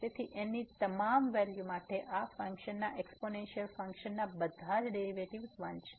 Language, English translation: Gujarati, So, for all values of all the derivatives of this function exponential function is 1